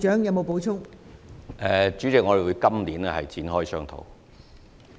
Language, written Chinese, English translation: Cantonese, 代理主席，我們會在今年展開商討。, Deputy President we will kick off the discussion this year